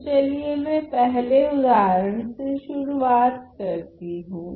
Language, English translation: Hindi, So, let me start with the first example